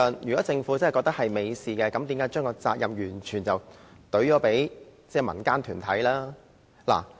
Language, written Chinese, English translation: Cantonese, 如果政府真的認為是一件美事，為何又會把這責任完全推給民間團體呢？, If the Government really thinks that it is a wonderful thing why did it completely shift the responsibility onto non - governmental organizations NGOs?